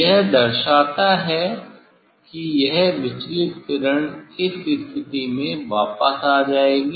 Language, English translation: Hindi, this reflect, this deviated ray will come back at this position